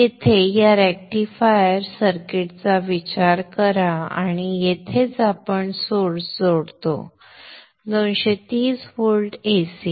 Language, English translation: Marathi, Consider this rectifier circuit here and this is where we connect the source, the 230 volt AC